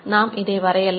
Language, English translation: Tamil, So, we will show that